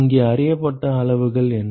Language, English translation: Tamil, What are the quantities which are known here